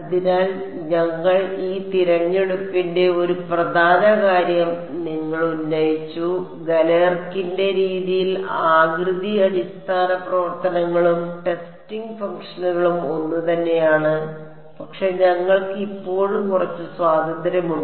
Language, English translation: Malayalam, So, but you have raised an important point this choice of we said that in Galerkin’s method the shape basis functions and the testing functions are the same, but we still have a little bit of freedom